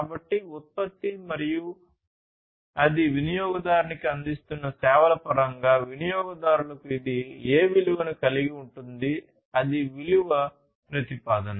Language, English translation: Telugu, So, what value it is going to have to the customers in terms of the product and the services it is offering to the customer; value proposition